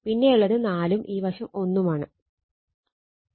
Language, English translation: Malayalam, 5 and this side also 1